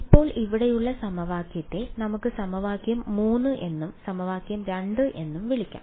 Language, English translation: Malayalam, Now this equation over here let us call as equation 3 and equation 2 right